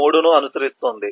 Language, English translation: Telugu, 3 will follow 5